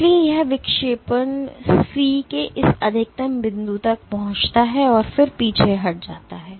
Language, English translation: Hindi, So, after, so it reaches this maximum point of deflection C and then it retracts right